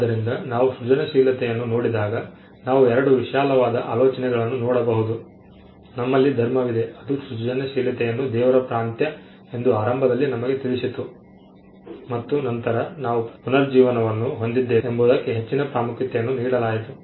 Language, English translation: Kannada, So, when we look at creativity, we can look at 2 broad classes of thinking: one we had religion which initially told us creativity was the province of god and then we had the renaissance where the individual was given more importance